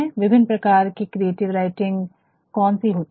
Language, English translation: Hindi, And, what are the types of creative writing